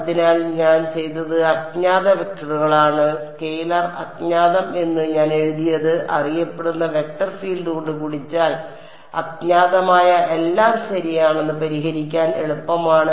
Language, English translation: Malayalam, So, what I have done is unknown vectors I have written as scalar unknown multiplied by a known vector field that is easier to solve that everything being unknown right